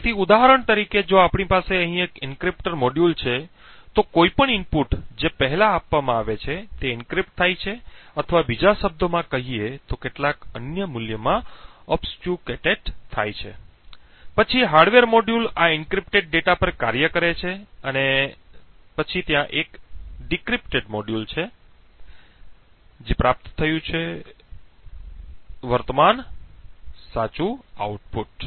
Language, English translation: Gujarati, So for example if we have an encryptor module over here any input which is given first get encrypted or in other words gets obfuscates to some other value then the hardware module works on this encrypted data and then there is a decrypted module and obtained a current correct output